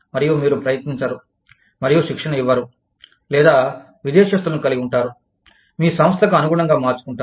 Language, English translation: Telugu, And, you do not try and train, or, have the foreign country nationals, adapt themselves, to your organization